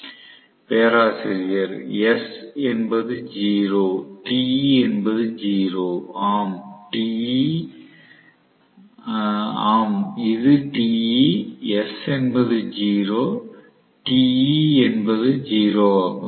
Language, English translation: Tamil, Student: Professor: S is 0 Te is 0, yes, this is Te, S is 0 Te is 0